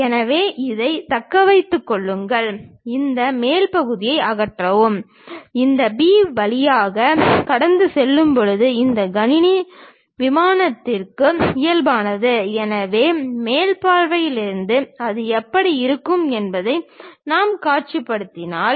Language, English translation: Tamil, So, retain this, remove this top portion; when we slice it passing through this B, normal to this computer plane, so from top view if we are visualizing how it looks like